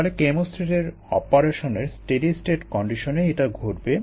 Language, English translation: Bengali, so that will happen under steady state conditions of operation of a chemostat